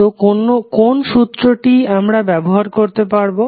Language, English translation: Bengali, So which law you can apply